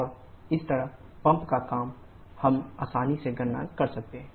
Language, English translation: Hindi, And similarly the pump work we can easily calculate